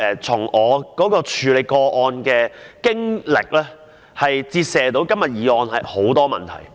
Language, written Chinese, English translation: Cantonese, 從我處理個案的經歷，折射出今天的議案帶出很多問題。, My experience in dealing with the case can bring to light many questions in relation to todays motion